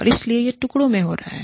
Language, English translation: Hindi, And so, it is happening in pieces